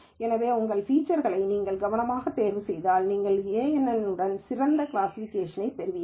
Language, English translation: Tamil, So, if you choose your features carefully, then you would get better classification with kNN